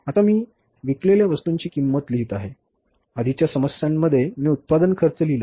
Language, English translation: Marathi, Now I'm writing cost of goods sold, in the early product, I the cost of production